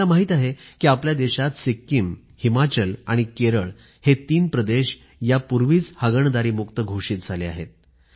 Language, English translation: Marathi, We know that in our country there are three states that have already been declared Open Defecation Free states, that is, Sikkim, Himachal Pradesh and Kerala